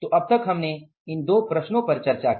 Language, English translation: Hindi, So till now we discussed these two problems